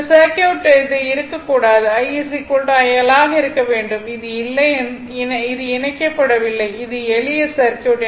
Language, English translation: Tamil, This circuit this should not be there it is not there at that time I should be is equal to IL , this is not there this is not connected it is simple circuit right it is simple circuit